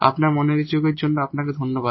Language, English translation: Bengali, Thank you for your attention